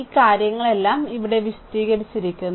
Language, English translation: Malayalam, So, all this things are explained here